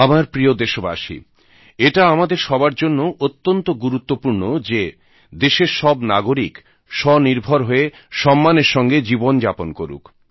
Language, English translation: Bengali, My dear countrymen, it is very important for all of us, that the citizens of our country become selfreliant and live their lives with dignity